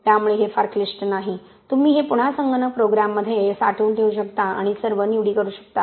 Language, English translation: Marathi, So it is not very complicated, you can again put this in a computer program and do and have all the choices made